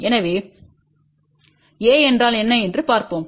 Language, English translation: Tamil, So, let us see what is A